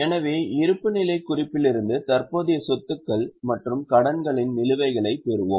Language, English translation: Tamil, So, from the balance sheet we will get balances of current assets and liabilities